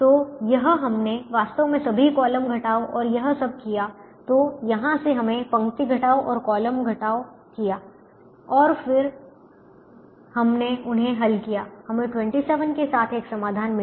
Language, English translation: Hindi, so when we actually did all the columns, subtraction and so on from this, we did the row subtraction and column subtraction and then we solve them, we got a solution with twenty seven, so variable